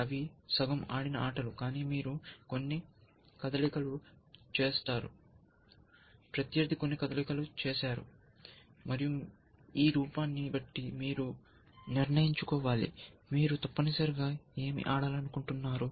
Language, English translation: Telugu, They are not completed games they are sort of half way plate games, but you have made a few moves, opponent as made a few moves, and based on this look ahead, you want to decide, what you want to play essentially